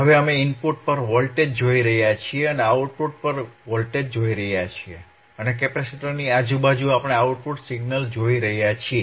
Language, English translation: Gujarati, Now, we are looking at the voltage at the input and we are looking at the voltage at the output, or a connect to capacitorand across the capacitor and we are looking at the output signal